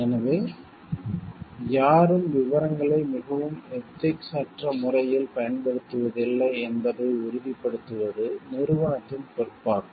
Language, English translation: Tamil, So, it is again the responsibility of the company to ensure like that nobody uses details in an very unethical way